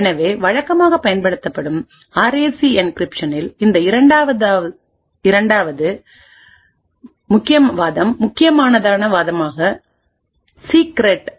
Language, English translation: Tamil, So in a typical RAC like encryption, this second argument the key argument is secret